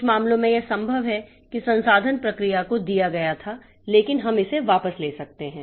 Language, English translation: Hindi, In some cases it is possible that the resource was given to the process but we can take it back